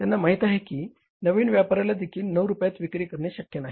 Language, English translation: Marathi, They know it that selling at 9 rupees is also not possible for the new player